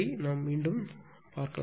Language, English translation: Tamil, We will meet